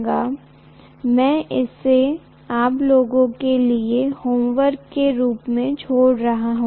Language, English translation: Hindi, That I am leaving it as homework for you guys